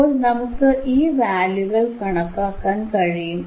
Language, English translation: Malayalam, So, thisese values we can calculate, and